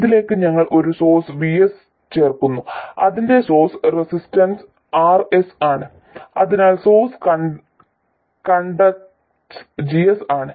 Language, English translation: Malayalam, And to this we add a source VS and its source resistance is RS or source conductance is G S